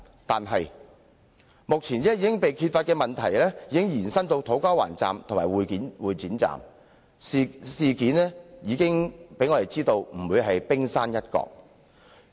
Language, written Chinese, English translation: Cantonese, 可是，目前被揭發的問題，已經延伸至土瓜灣站和會展站，我們已知的事件只是冰山一角。, However the problems uncovered so far have been extended to To Kwa Wan Station and Exhibition Centre Station and the problems emerged are only the tip of the iceberg